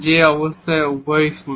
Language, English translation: Bengali, In the situation when both are 0